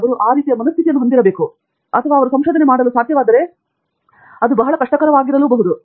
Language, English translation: Kannada, Should they have that kind of a mind set or should they be very, very hard working to be able to do research